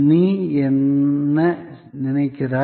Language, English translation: Tamil, What you think